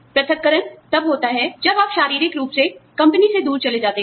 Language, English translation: Hindi, Separation occurs, when you physically move away, from the company